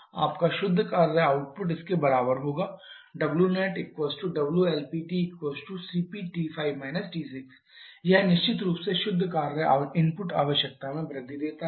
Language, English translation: Hindi, So, your net work output will be equal to the work produced by the LP turbine only which is CP into T 5 T 6 this one definitely gives an increase in the net work input requirement